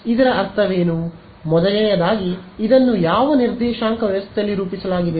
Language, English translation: Kannada, So, what does this mean, first of all what coordinate system is this plotted in